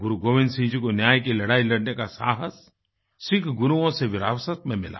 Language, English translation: Hindi, Guru Gobind Singh ji had inherited courage to fight for justice from the legacy of Sikh Gurus